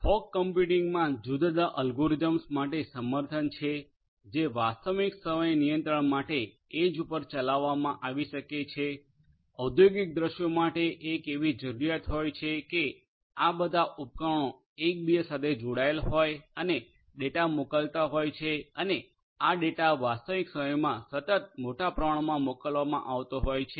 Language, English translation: Gujarati, Fog computing has support for different algorithms that can be executed at the edge for real time control, for industrial scenarios there is a requirement of all these devices connected to each other and sending the data and this data are sent continuously in real time in large volumes and so on they are streamed